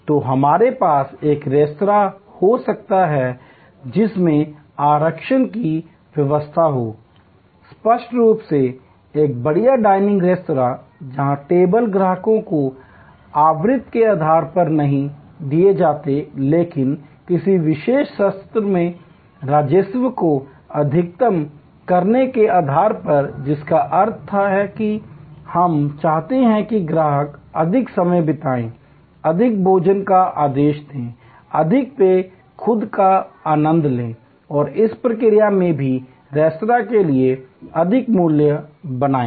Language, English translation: Hindi, So, we can have a restaurant which has a reservation system; obviously, a fine dining restaurant, where tables are given to customers not on the basis of frequency, but on the basis of maximizing the revenue from a particular session, which means that, we want the customer to spent more time, order more food, more drinks, enjoy themselves and in the process also, create more value for the restaurant